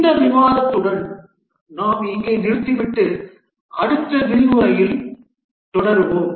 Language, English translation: Tamil, With this discussion, we'll just stop here and continue in the next lecture